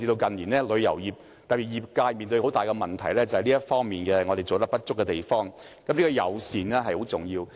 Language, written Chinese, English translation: Cantonese, 近年旅遊業面對很大的問題，原因便是這方面做得不足夠，友善十分重要。, In recent years the tourism industry is faced with a major problem arising from our insufficient work in this regard . Hospitality is very important